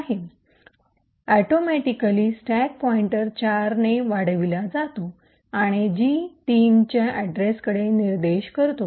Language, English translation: Marathi, The second thing which happens atomically is that the stack pointer increments by 4 and points to the address of G2